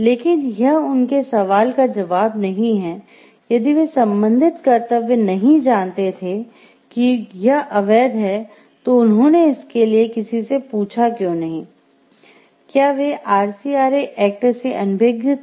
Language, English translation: Hindi, But, that does not like answer their question for the corresponding duty of if they did not know like it was illegal, then why did not they ask for it where they unaware of the RCRA act